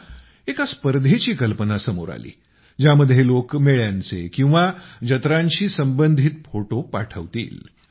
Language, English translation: Marathi, Then the idea of a competition also came to mind in which people would share photos related to fairs